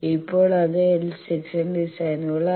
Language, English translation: Malayalam, Now, that was L Section designs